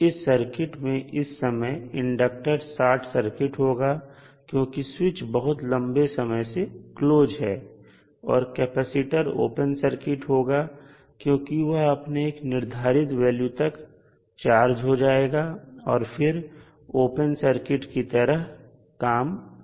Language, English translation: Hindi, That this particular circuit will give inductor as a short circuit because it is switch is connected for very long period and the capacitor will be open circuit because it will be charge to certain value and it will act as an open circuit